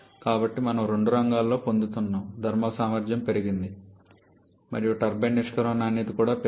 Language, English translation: Telugu, So, we are gaining both front thermal efficiency is increased and also the turbine exit quality has increased